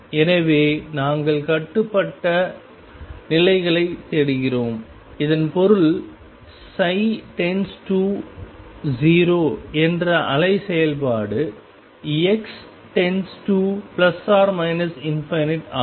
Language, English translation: Tamil, So, we are looking for bound states; and that means the wave function psi goes to 0 as x goes to plus or minus infinity